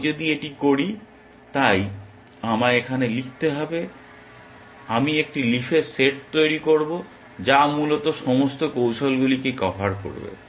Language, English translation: Bengali, If I do this, so, I should write here set of, I will construct a set of leaves which will cover all strategies essentially